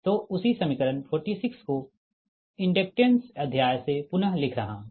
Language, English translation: Hindi, so same equation forty six from the inductance chapter i am rewriting